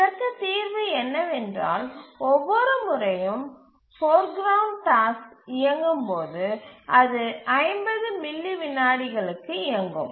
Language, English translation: Tamil, The answer to this is that every time the foreground task runs, it runs for 50 milliseconds